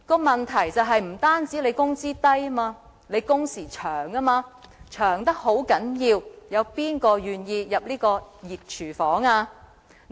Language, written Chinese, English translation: Cantonese, 問題不僅在於工資低，還因為工時長得很厲害，試問誰願意走入這個熱廚房呢？, The problems faced by the catering industry are not merely the result of low wage but also excessively long working hours . Who will be willing to walk into this hot kitchen?